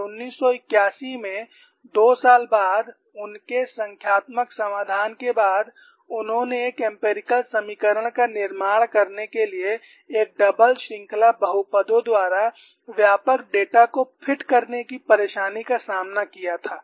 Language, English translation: Hindi, And in 1981, two years later, the numerical solution, they had taken the trouble of fitting the extensive data by double series polynomials to produce an empirical equation